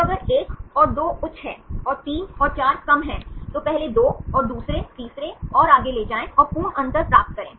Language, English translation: Hindi, So, if 1 and 2 are high and 3 and 4 are less then take the first 2 and the second, third and forth and get the absolute difference